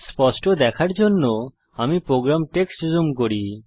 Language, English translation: Bengali, Let me zoom the program text to have a clear view